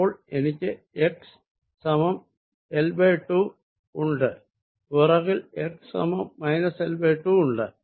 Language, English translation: Malayalam, so i have x equals l by two and backside is x equals minus l by two and by two